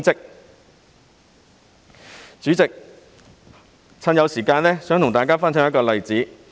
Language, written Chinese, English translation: Cantonese, 代理主席，既然尚有時間，我想跟大家分享一個例子。, Deputy President since there is still some time I would like to share with Members an example